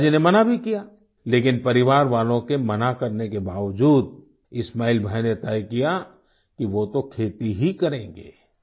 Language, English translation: Hindi, Hence the father dissuaded…yet despite family members discouraging, Ismail Bhai decided that he would certainly take up farming